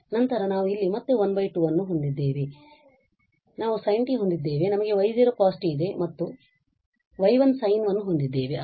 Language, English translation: Kannada, Then we have again here the plus half then we have sin t we have y naught cos t and we have y 1 sin t again